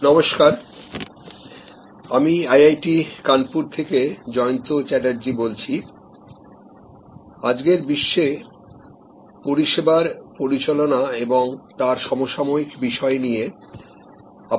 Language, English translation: Bengali, Hello, I am Jayanta Chatterjee of IIT Kanpur and we are interacting with you and Managing Services, contemporary issues in today's world